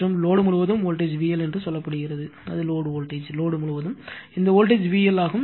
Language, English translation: Tamil, And across the load, the voltage is say V L that is the load voltage; across the load, this voltage is V L right